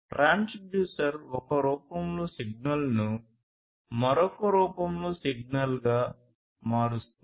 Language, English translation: Telugu, So, transducer basically is something that converts the signal in one form into a signal in another form